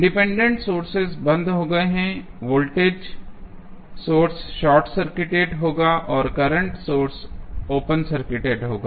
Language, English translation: Hindi, Independent Sources turned off means, the voltage source would be short circuited and the current source would be open circuit